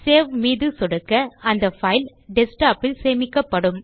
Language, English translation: Tamil, Click Save and the file will be saved on the Desktop